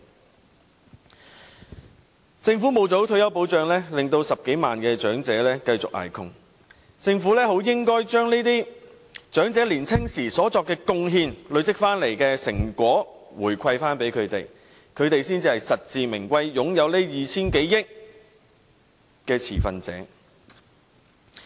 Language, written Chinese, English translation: Cantonese, 由於政府沒有做好退休保障 ，10 多萬長者繼續捱窮，政府實應將這些靠長者年青時所作貢獻，累積下來的成果回饋給長者，他們才是這 2,000 多億元實至名歸的持份者。, Since the Government has failed to provide proper retirement protection 100 000 - odd elderly citizens continue to be plagued by poverty . The Government should reward the elderly with the fruits they saved during their younger years . They are the true stakeholders well - deserved of the 200 - odd billion